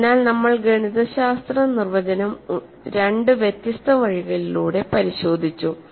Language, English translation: Malayalam, So, we have looked at the mathematical definition in two different ways